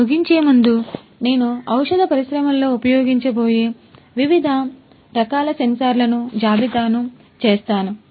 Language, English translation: Telugu, Before I end, I would like to list these different types of sensors that we are going to use in the pharmaceutical industry